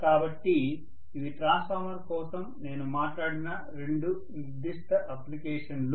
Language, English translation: Telugu, So these are two specific applications that I talked about for transformer